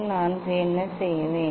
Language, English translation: Tamil, what I will do